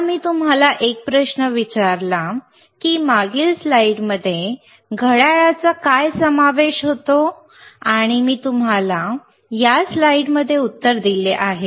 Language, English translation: Marathi, Now, I asked you a question what a watch consists of right,in the previous slides and I have given you the answer also in this slide